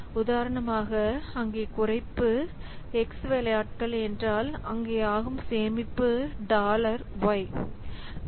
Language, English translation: Tamil, For example, there is a reduction of, say, X stab saving dollar Y